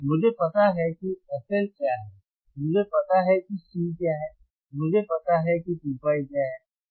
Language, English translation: Hindi, I know what is f L, I know what is C, I know what is 2 pi